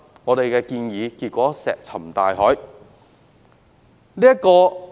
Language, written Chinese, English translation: Cantonese, 我們的建議結果卻石沉大海。, Our proposal has consequently fallen on deaf ears